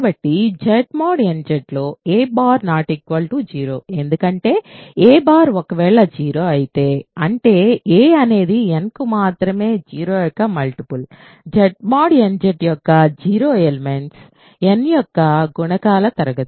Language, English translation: Telugu, Then so, also a bar is not 0 in Z mod nZ right because a bar if a bar is a 0; that means, a is a multiple of n the only 0s, 0 element of Z mod nZ is the class of multiples of n